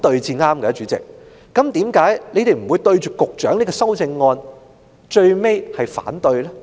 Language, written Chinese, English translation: Cantonese, 主席，為何他們最終不會對局長這項修正案提出反對呢？, President why the royalists eventually do not object the amendment proposed by the Secretary?